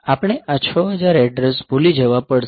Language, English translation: Gujarati, So, we have to forget there is this 6000 address